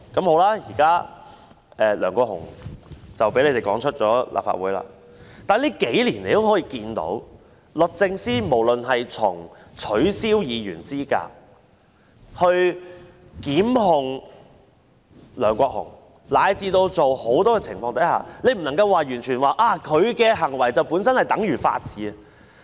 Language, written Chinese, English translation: Cantonese, 好了，現時梁國雄被他們趕離立法會了，但在最近數年可以看到，從取消議員資格、檢控梁國雄，以至很多情況看來，你不能說律政司的行為本身就等於法治。, All right Mr LEUNG Kwok - hung has been expelled by them from the Legislative Council but it can be seen that in recent years from the disqualification of Members through bringing a lawsuit against Mr LEUNG Kwok - hung to many other instances the actions taken by DoJ cannot be equated with the rule of law